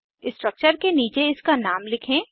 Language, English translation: Hindi, Lets write its name below the structure